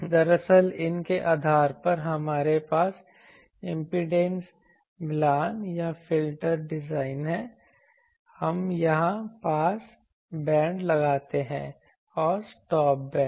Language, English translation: Hindi, Actually, based on these we have in the impedance matching or filter designs we put pass bands here and stop bands here